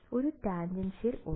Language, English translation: Malayalam, There is a tan